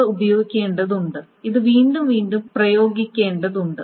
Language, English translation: Malayalam, Now this needs to be applied again and again